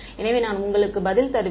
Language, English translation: Tamil, So, I will give you the answer